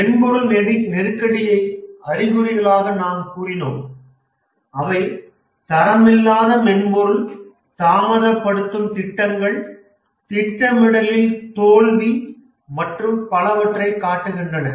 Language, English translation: Tamil, We said the software crisis as symptoms which show up as poor quality software, delayed projects, project failure, and so on, costly and so on